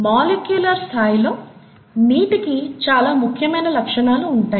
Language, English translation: Telugu, Water, at a molecular level, has very many important properties